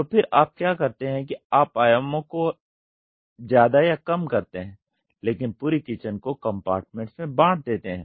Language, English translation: Hindi, So, then what you do is you expand or contract the dimensions, but the kitchen is completely divided into compartments